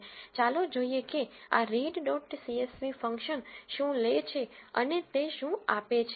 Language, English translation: Gujarati, Let us look what this read dot csv function takes and what it returns